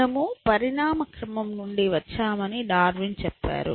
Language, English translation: Telugu, Darwin said that we came out of evolution